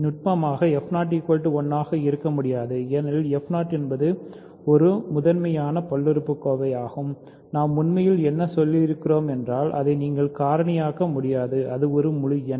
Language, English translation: Tamil, Technically f 0 cannot be 1 because f 0 is a primitive polynomial what we really mean is that you cannot factor it into and it is an integer by itself